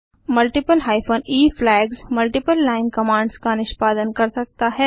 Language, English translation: Hindi, Multiple hyphen e flags can be used to execute multiple line commands